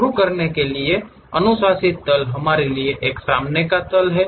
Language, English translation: Hindi, Recommended plane to begin is for us front plane